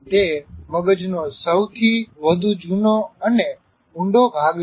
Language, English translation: Gujarati, It is the oldest and deepest part of the brain